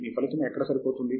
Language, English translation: Telugu, Where does your result fit in